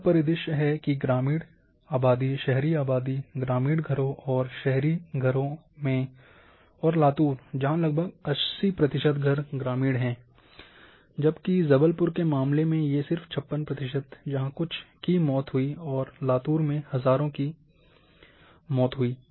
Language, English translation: Hindi, (Refer Slide time: 19:35) This is the scenario that in rural population, urban population, rural houses and urban houses and rural houses and Latur where about roughly of 80 percent, whereas in case of Jabalpur just 56 percent, and few deaths, thousands of death